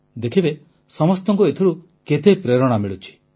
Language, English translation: Odia, You will see how this inspires everyone